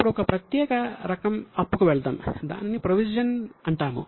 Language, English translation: Telugu, Now let us go to one special type of liability that is called as a provision